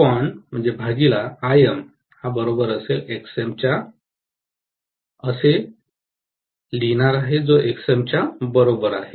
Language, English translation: Marathi, So, I am going to write V0 by Im is equal to Xm, right